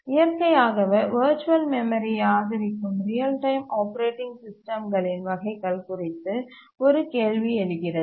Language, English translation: Tamil, Naturally a question arises which are the types of the real time operating systems which support virtual memory